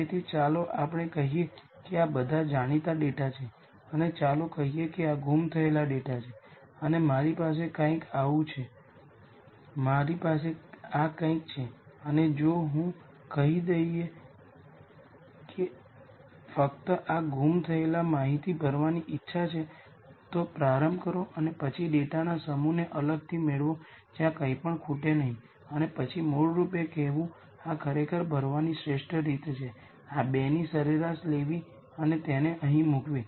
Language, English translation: Gujarati, So, if I have let us say let us say these are all known data and let us say this is missing data and I have something like this I have something like this and if I let us say want to just fill in this missing data we start and then get this set of data separately where nothing is missing and then basically say the best way to really fill this is to take an average of these two and put it here